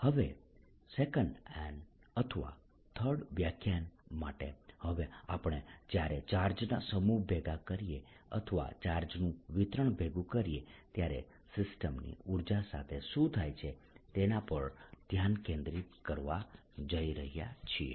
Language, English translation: Gujarati, now on for two or three, for two or three lectures, we are going to focus on what happens to the energy to system when we assemble a set of charges or assemble a distribution of charge